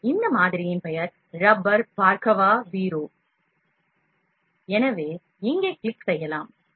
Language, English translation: Tamil, So, this model known as Rubber Bhargava Veeru this model is there